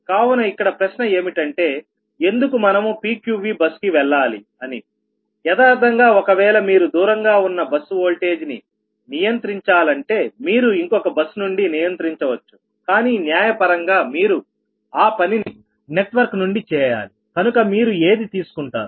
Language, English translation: Telugu, so question is, why will go for pqv bus actually, when want to control a remotely located bus voltage so you can control it from another bus, but judicially, as you have to take in network, which one will take